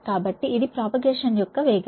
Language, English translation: Telugu, so this is the velocity of propagation